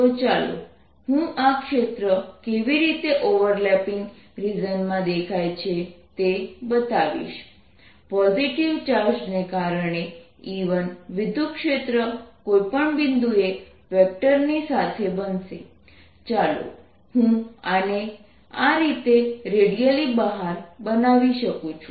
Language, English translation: Gujarati, so let me show how this field looks in the overlapping region: the electric field due to e one due to the positive charge is going to be at any point, is going to be along the vector